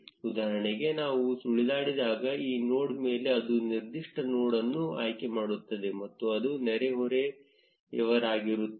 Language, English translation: Kannada, For instance, when we hover over this node it selects the particular node and it is neighbors